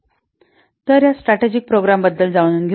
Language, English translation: Marathi, Now, let's see about this strategic programs